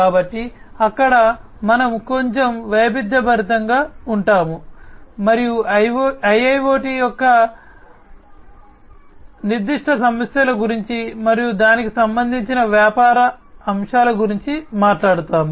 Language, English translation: Telugu, So, there we will diversify a bit, and we will talk about the specific issues of IIoT, and the business aspects concerning it